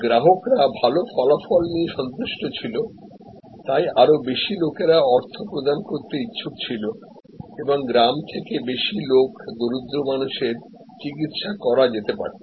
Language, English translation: Bengali, So, people were willing to pay and more people paid and were satisfied with good result, more people from villages, poor people could be treated